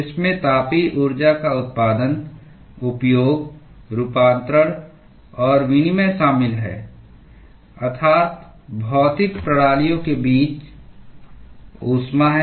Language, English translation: Hindi, It involves generation, use, conversion and exchange of thermal energy, that is, heat between physical systems